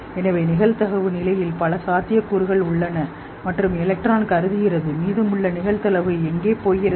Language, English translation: Tamil, Now, so every said that if there are multiple possibilities and electron assumes one probability state, where do the rest of the probability go